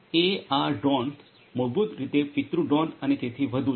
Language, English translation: Gujarati, AR Drones basically the parent drones and so on